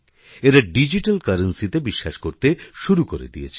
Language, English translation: Bengali, It has begun adopting digital currency